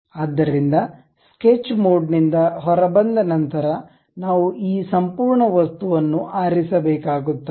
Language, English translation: Kannada, So, after coming out from sketch mode, we have to select this entire object